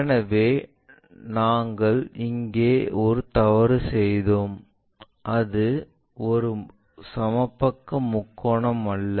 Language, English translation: Tamil, So, we made a mistake here it is not a equilateral triangle